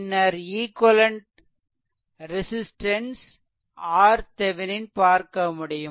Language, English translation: Tamil, Then you find out what is the equivalent resistance R Thevenin